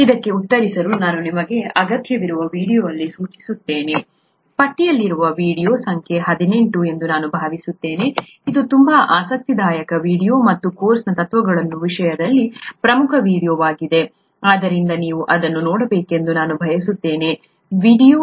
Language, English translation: Kannada, To answer this, I would point you out to required video here, I think the video in the list is number 18, it’s a very interesting video and important video in terms of the principles for the course, so I would require you to see that video